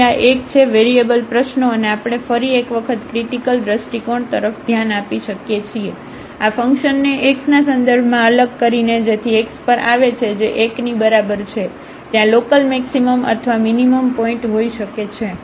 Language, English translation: Gujarati, So, this is a 1 variable problem and we can look again for the critical point were just by differentiating this function with respect to x so which comes to be at x is equal to 1 there might be a point of local maximum or minimum